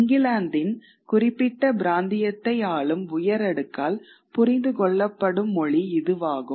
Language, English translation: Tamil, This is a language which is understood by the governing elite of the of that particular region in this particular case, England